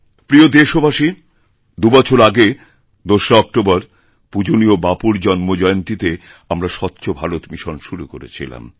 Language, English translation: Bengali, My dear countrymen, we had launched 'Swachha Bharat Mission' two years ago on 2nd October, the birth anniversary of our revered Bapu